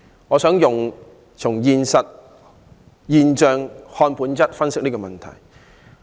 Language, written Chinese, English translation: Cantonese, 我想由"現象看本質"，分析這個問題。, I will try to reveal essence from the phenomenon when analysing this issue